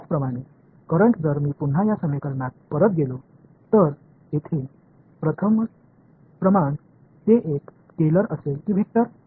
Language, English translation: Marathi, Similarly, the current if I again go back to this equation the first quantity over here is it a scalar or a vector